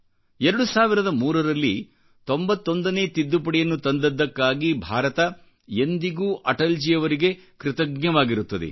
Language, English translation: Kannada, India will remain ever grateful to Atalji for bringing the 91st Amendment Act, 2003